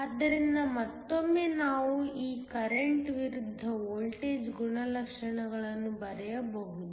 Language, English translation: Kannada, So, once again we can draw this current versus voltage characteristics